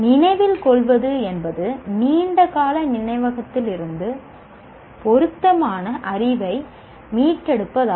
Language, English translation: Tamil, Remembering is retrieving relevant knowledge from a long term memory